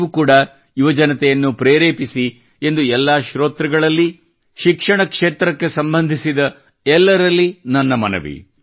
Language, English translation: Kannada, I appeal to all the listeners; I appeal to all those connected with the field of education